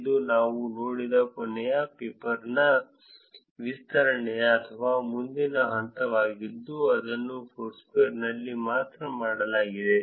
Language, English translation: Kannada, This is an extension or the next step for the last paper that we saw which was done only on Foursquare